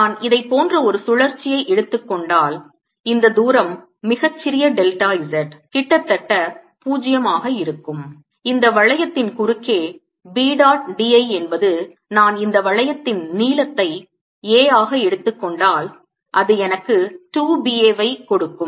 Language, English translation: Tamil, and if i take a loop like this where this distance very, very small, delta z almost into zero, then b dot, b, l across this loop will give me, if i take a length of this loop will be a, will give me two b, a and they should be equal to current enclose by this loop, which is going to be i